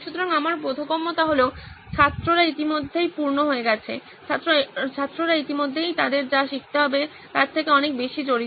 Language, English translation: Bengali, So my understanding is that students are already packed, students are already pretty much engaged with what they already have to learn